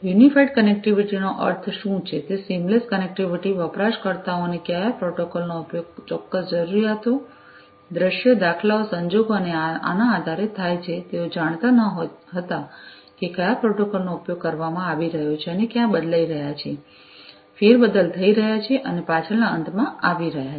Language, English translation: Gujarati, Unified connectivity means what, that seamless connectivity users would not know how which protocol depending on the specific requirements, scenarios, instances, circumstances and so on, which protocols are being used and they are,you know, they are basically getting shuffled, reshuffled and so on at the back end